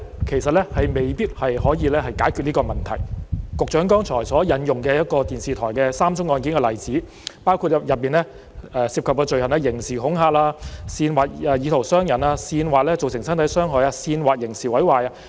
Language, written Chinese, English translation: Cantonese, 其實，現行法例未必可以解決這個問題，局長剛才引用有關一間電視台的3宗案件的例子，所涉罪行包括刑事恐嚇、煽惑意圖傷人、煽惑造成身體傷害及煽惑刑事毀壞。, In fact the existing legislation may not be able to solve this problem . The Secretary has just cited the example of three cases concerning a television station that involve criminal intimidation incitement to commit wounding with intent incitement to commit assault occasioning actual bodily harm and incitement to commit criminal damage